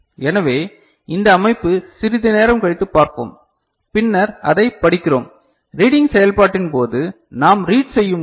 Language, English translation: Tamil, So, this organization we shall see little later and then we are reading it; during the reading when we are doing the read operation